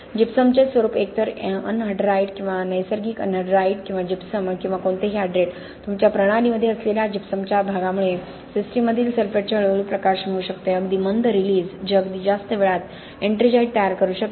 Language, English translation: Marathi, The form of gypsum either anhydride or natural anhydride or gypsum or any hydrate the type of gypsum that you have in your system can lead to a slow release of the sulphates in the system very slow release that can form ettringite at very late ages, okay